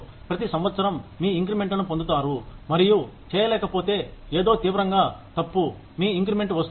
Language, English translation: Telugu, You get your increments, every year, and unless do something, drastically wrong; your increment comes in